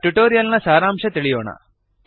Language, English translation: Kannada, Let us now summarize the tutorial